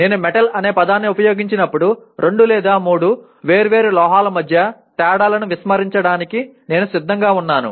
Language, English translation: Telugu, When I use the word metal, I am willing to ignore differences between two or three different metals